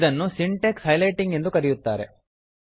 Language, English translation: Kannada, This is called syntax highlighting